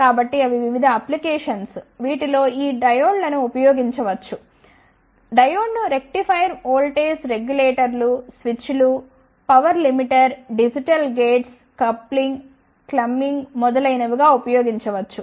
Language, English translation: Telugu, So, they are various applications, in which these diodes can be use the diode can be used as a rectifier voltage regulators, switches, power limiter, digital gates, clipping, clamping, etcetera